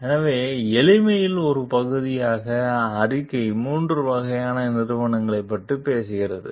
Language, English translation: Tamil, So, as a part of the simplicity, the report talks of three types of companies